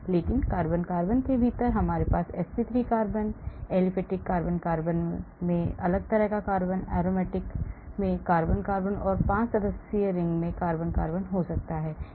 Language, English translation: Hindi, But within carbon carbon I may have sp3 carbon, carbon carbon in aliphatic, carbon carbon in aromatic and carbon carbon in 5 membered ring